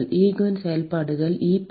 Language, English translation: Tamil, Eigen functions are e power